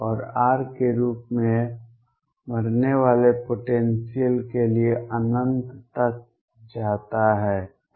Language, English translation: Hindi, And for potentials that die off as r goes to infinity